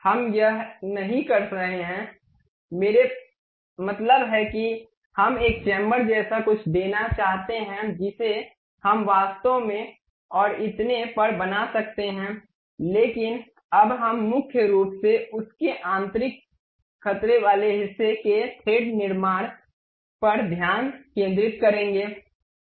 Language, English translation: Hindi, We are not having this, I mean we would like to give something like a chamfer we can really construct that and so on, but now we will mainly focus on constructing the internal threat portion of that